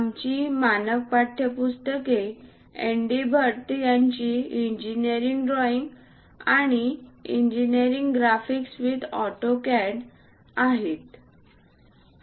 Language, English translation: Marathi, Ours standard textbooks are Engineering Drawing by N D Bhatt and Engineering Graphics with AutoCAD